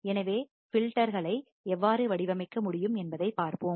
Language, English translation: Tamil, So, we will see how we can design filters